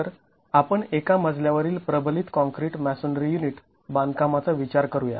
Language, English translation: Marathi, So let us consider one storied reinforced concrete masonry unit construction